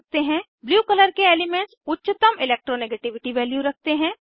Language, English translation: Hindi, Elements with blue color have highest Electronegativity values